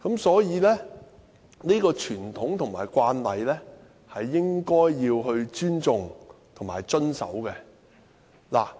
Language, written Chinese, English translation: Cantonese, 所以，這個傳統和慣例應該要尊重和遵守。, Therefore such a tradition and practices should be respected and adhered to